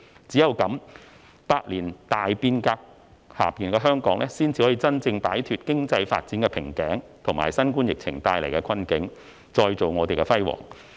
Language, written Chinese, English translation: Cantonese, 只有這樣，百年大變革下的香港，才能真正擺脫經濟發展瓶頸，以及新冠疫情帶來的困境，再造香港的輝煌。, Only in this way can Hong Kong under the reform of a century genuinely break through the economic development bottleneck and get out of the predicament brought about by the COVID - 19 epidemic to chalk up even greater achievements